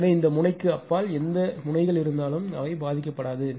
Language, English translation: Tamil, So, beyond this node any nodes are there it will not be affected